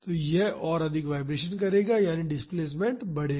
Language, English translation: Hindi, So, it will vibrate more so; that means, the displacement will grow